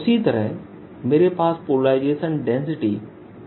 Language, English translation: Hindi, so in the same manner i have polarization density, p